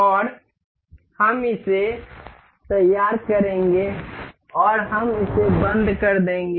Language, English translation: Hindi, And we will mate it up, and we will lock it